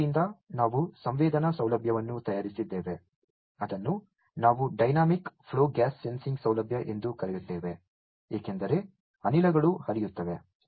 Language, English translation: Kannada, So, we have fabricated a sensing facility which we call a dynamic flow gas sensing facility, because the gases are flowing